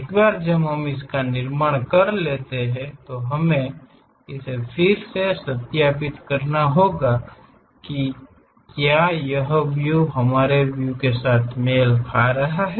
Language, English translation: Hindi, Once we construct that, we have to re verify it whether that is matching the views